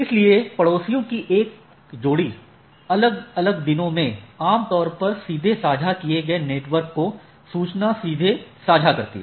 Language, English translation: Hindi, So, a pair of neighbors each in a different days these neighbors typically share directly typically share a directly connected network right